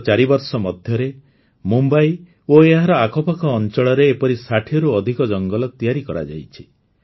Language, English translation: Odia, In the last four years, work has been done on more than 60 such forests in Mumbai and its surrounding areas